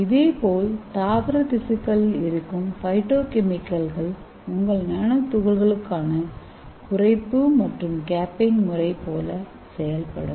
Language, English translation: Tamil, So similarly the phytochemicals act like a reducing agent and it also act like a capping agent for your nanoparticles